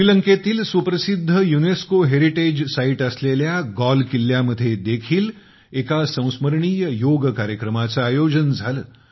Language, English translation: Marathi, A memorable Yoga Session was also held at Galle Fort, famous for its UNESCO heritage site in Sri Lanka